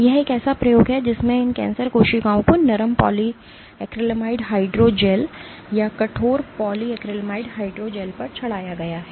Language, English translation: Hindi, This is an experiment in which these cancer cells have been plated on soft polyacrylamide hydrogels or on stiff polyacrylamide hydrogels